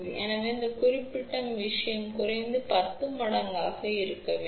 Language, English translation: Tamil, So, this particular thing should be at least 10 times of that